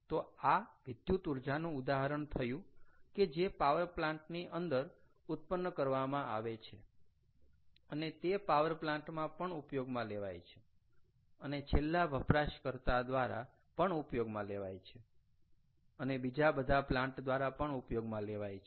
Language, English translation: Gujarati, so thats an example of electricity that is generated in a power plant is used in the power plant itself as well as to the end user and to all other plants also